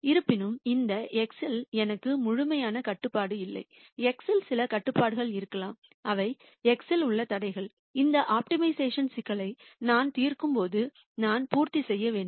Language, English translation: Tamil, However, I might not have complete control over this x there might be some restrictions on x which are the constraints on x which I have to satisfy while I solve this optimization problem